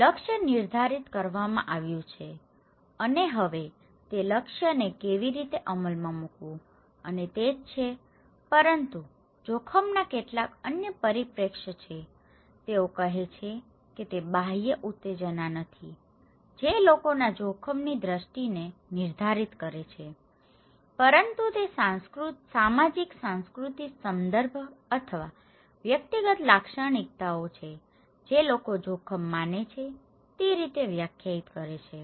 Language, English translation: Gujarati, So, target is set and now how to implement that target and thatís it but there are some other perspective of risk, they are saying that it is not that external stimulus that determines people's risk perceptions but it is the socio cultural context or individual characteristics that define the way people perceive risk